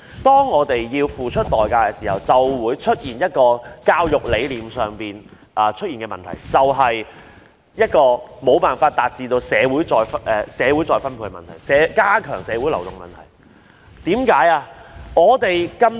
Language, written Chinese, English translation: Cantonese, 當學生要付出代價時，就會出現一個教育理念上的問題，無法達致社會再分配、加強社會流動。, Philosophically the high price borne by students is a problem in education as it hinders redistribution in society and reduces social mobility